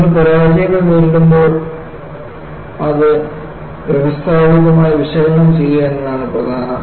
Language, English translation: Malayalam, So, the key is, when you face failures, analyze it systematically